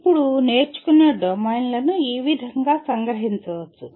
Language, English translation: Telugu, Now this is how the domains of learning can be summarized